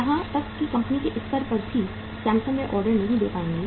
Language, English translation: Hindi, So even the Samsung at the company level itself they would not be able to serve the order